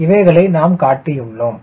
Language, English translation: Tamil, so we have shown that